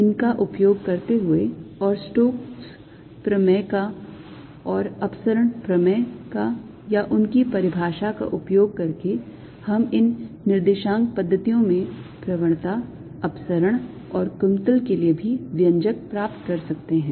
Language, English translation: Hindi, using these and using the stokes theorem and divergence theorem or their definition, we can derive the expressions for the gradient, divergence and curl also in these coordinate systems